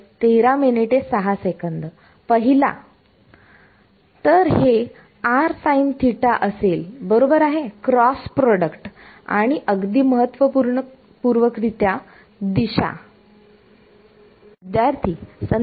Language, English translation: Marathi, So, it will be r’s sin right cross product and direction more importantly